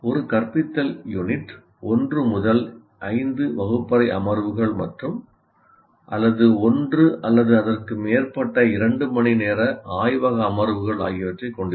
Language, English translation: Tamil, So, as a result, an instructional unit will have 1 to 5 classroom sessions of 15 minutes to 1 hour duration or 1 or more 2 hour laboratory sessions, field trips, etc